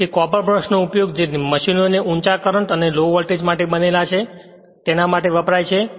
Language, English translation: Gujarati, So, the use of copper brush is made up for machines designed for large currents at low voltages right